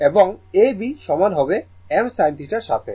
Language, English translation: Bengali, And A B is equal to I m sin theta, right